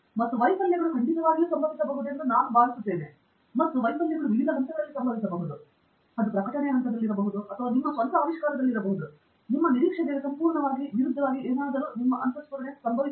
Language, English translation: Kannada, And I think failures definitely are bound to happen, and they can happen at different stages, like Andrew said, it could be at the publication stage or it could be just in your own discovery as Abijith said, something completely contrary to your expectation, to your intuition can happen